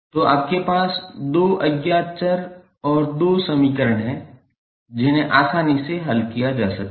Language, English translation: Hindi, So, you have two unknown variables and two equations which can be easily solved